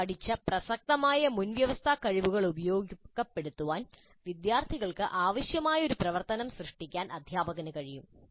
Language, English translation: Malayalam, Teacher could create an activity that requires students to utilize the relevant prerequisite competencies that have been previously learned